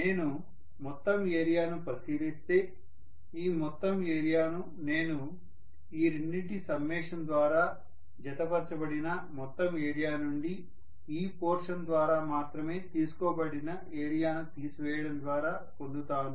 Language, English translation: Telugu, So if I look at the entire area, I am getting this entire area as the total area which is enclosed by the summation of these two, minus whatever is the area that is actually taken up only by this portion